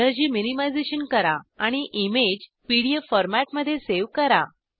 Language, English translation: Marathi, # Do energy minimization and save the image in PDF format